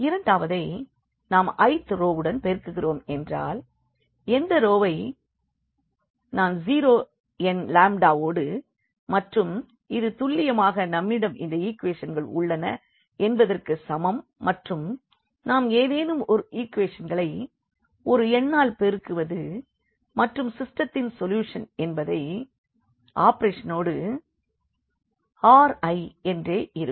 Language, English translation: Tamil, The second one we can multiply the i th row means any row by a nonzero number lambda and this is precisely equivalent to saying that we have those equations and we are multiplying any equation by some number and again that system the solution of the system will remain we remain the same with that operation